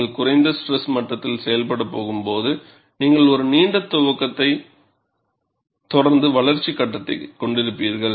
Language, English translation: Tamil, When you are going to operate at lower stress levels, you will have a longer initiation phase, followed by growth phase